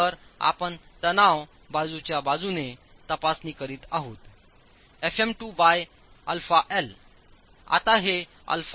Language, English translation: Marathi, So you're checking with respect to the side in tension, FM2 by alpha L